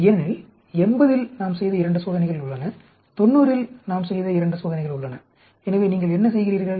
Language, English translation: Tamil, Because there is 2 experiment where we have done at 80, there are 2 experiments were I have done at 90, so what you do the results of you take 46